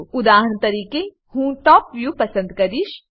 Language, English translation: Gujarati, For example, I will choose Top view